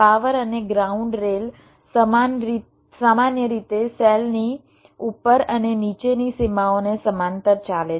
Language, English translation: Gujarati, the power and ground rails typically run parallel to upper and lower boundaries of the cells